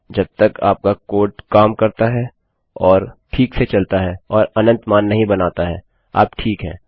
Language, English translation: Hindi, As long as your code works and flows properly and doesnt produce infinite values, you will be fine